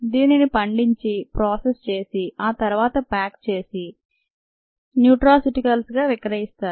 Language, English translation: Telugu, it is grown and then processed and packaged and that is sold as nutraceuticals